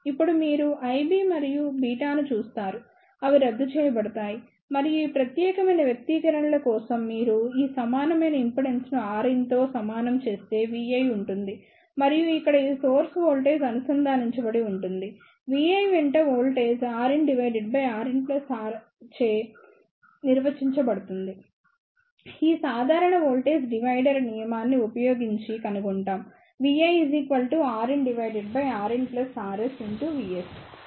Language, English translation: Telugu, Now, you see the I b and beta, they will cancel out and for this particular expressions vi will be if you equate this equivalent impedance by R in and this source voltage is connected here, then the voltage along the vi is given R in upon R in plus R s using this simple voltage divider rule